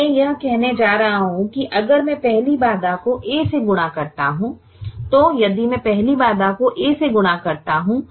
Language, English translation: Hindi, now i am going to say that if i multiply the first constraint by a, by a, if i multiply the first constraint by a, i multiply the first constraint by a, i multiply the second constraint by b